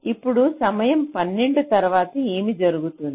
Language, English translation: Telugu, right now, after time twelve, what will happen